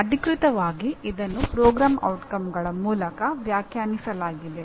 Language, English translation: Kannada, Officially it is defined through what they call as Program Outcomes